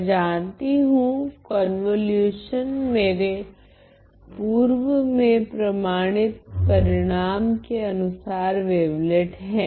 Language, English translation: Hindi, I know that the convolution is a wavelet by the result that I have proved earlier